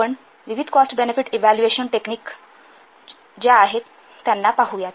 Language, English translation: Marathi, We will see there are various cost benefit evaluation techniques